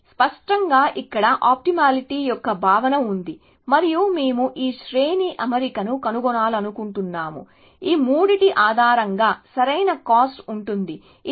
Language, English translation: Telugu, So, obviously there is a notion of optimality here and we want to find a sequence alignment, which has optimal cost based on these three, this